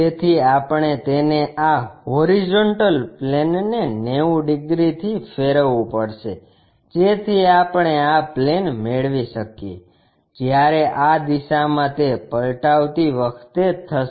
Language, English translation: Gujarati, So, we have to rotate it by 90 degrees to this HP, so that we will be getting this plane, this one while flipping it in that direction